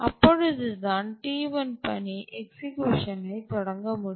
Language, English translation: Tamil, And only at that point the T1 task can start executing